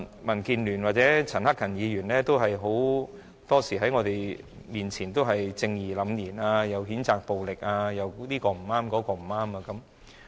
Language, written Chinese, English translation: Cantonese, 民建聯或陳克勤議員很多時候在我們面前也是正義凜然的，他們譴責暴力又說其他人不對。, DAB or Mr CHAN Hak - kan often behaves righteously in front of us . They censure people for their violent acts and point out their wrongdoings